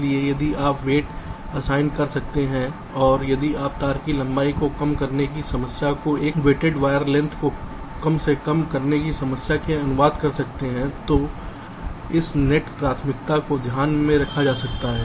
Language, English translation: Hindi, ok, so if you can assign some weights and if you can translate this problem of ah, minimizing wire length to a weighted wire length minimization problem, then this net priority can be implicitly taken into account, just to modify the cost function for the placement